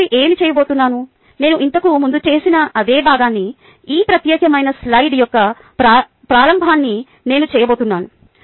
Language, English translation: Telugu, ok, what i am going to do next, i am going to act out the same piece that i did earlier, the beginning of this particular slide